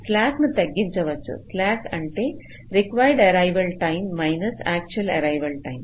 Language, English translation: Telugu, you see, just to recall, slack is defined as required arrival time minus actual arrival time